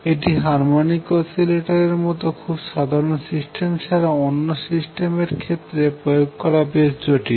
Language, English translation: Bengali, It becomes quite complicated in applying to systems other than very simple system like a harmonic oscillator